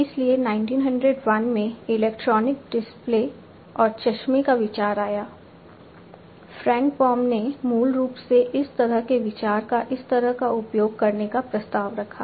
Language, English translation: Hindi, So, in 1901 the idea of electronic displays and spectacles came into being Frank Baum basically proposed this kind of idea use of this kind of thing